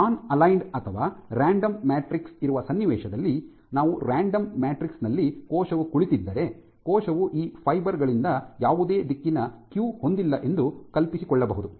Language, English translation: Kannada, So, what I would call a nonaligned or a completely random matrix and it is possible to envision that if you have a cell sitting on this kind of a random matrix, what you would find is the cell has no directional cue from these fibers